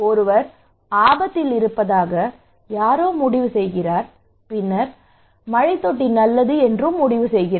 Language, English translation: Tamil, I am at risk somebody decided and then also decided that this rainwater tank is good